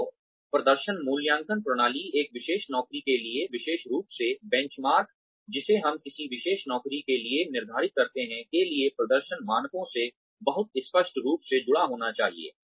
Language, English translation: Hindi, So, the performance appraisal system should be, very clearly connected to the performance standards, for a particular job, to the benchmarks, that we set, for a particular job